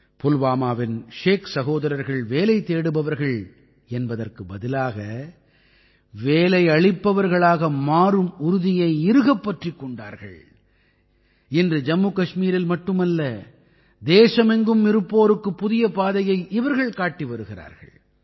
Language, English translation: Tamil, The Sheikh brothers of Pulwama took a pledge to become a job creator instead of a job seeker and today they are showing a new path not only to Jammu and Kashmir, but to the people across the country as well